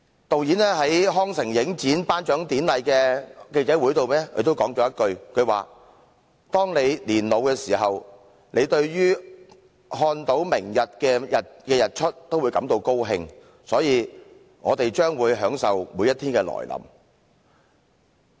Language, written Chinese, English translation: Cantonese, 導演在康城影展頒獎典禮的記者會上說了一句："當你年老時，看到明天的日出也會感到高興，所以我們將會享受每一天的來臨。, At the press conference after the Cannes prize presentation ceremony the film director said When you get very old youre just pleased to see the sunrise the next day so well just take each day as it comes